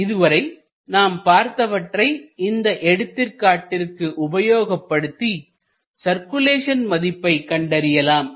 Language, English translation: Tamil, Now, if we come to this example, we will try to utilize this example to find out the circulation